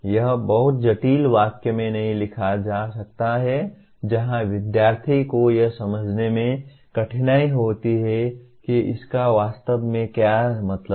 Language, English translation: Hindi, It cannot be written in a very complicated sentence where the student has difficulty in understanding what it really means